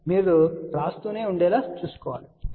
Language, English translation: Telugu, So, you have to ensure that you keep writing the thing